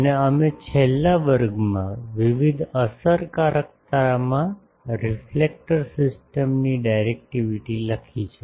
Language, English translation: Gujarati, And we have written in the last class the directivity of the reflector system into various efficiencies